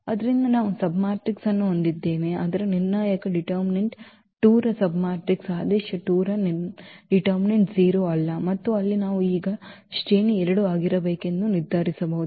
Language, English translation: Kannada, So, we have a submatrix whose determinant the submatrix of order 2 whose determinant is not 0 and there we can decide now the rank has to be 2